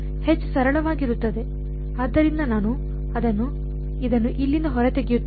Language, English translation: Kannada, H will simply be j, so let me get this out of here